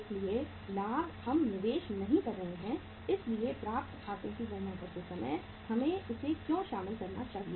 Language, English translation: Hindi, So profit we are not investing so why should we include this while calculating the accounts receivable